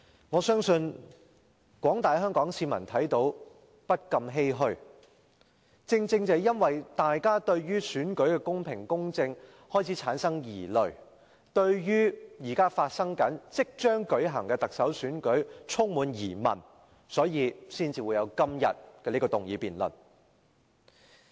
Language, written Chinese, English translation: Cantonese, 我相信廣大的香港市民看到都不禁欷歔，正是由於大家對於選舉的公平、公正開始產生疑慮，對於現正進行的競選活動及即將舉行的特首選舉充滿疑問，所以才會有今天這項議案辯論。, I believe that the general public of Hong Kong cannot help lamenting over what they observe these days . This motion debate is held today because we have misgivings about the fairness and impartiality of the election and we are doubtful about the ongoing election campaigns and the upcoming Chief Executive Election